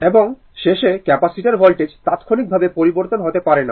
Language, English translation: Bengali, And at the end, capacitor voltage cannot change instantaneously